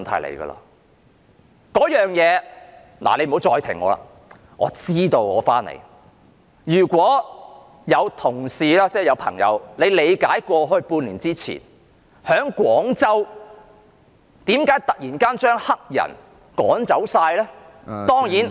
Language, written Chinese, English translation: Cantonese, 這件事情——主席，你不要再打斷我了，我知道要返回議題的——如果有同事曾經理解半年前為何廣州突然要把黑人全部趕走，當然......, Regarding this issue―President I know I have to return to the subject but please do not interrupt me―if any of our colleagues have looked into why Guangzhou expulsed all black people six months ago they will certainly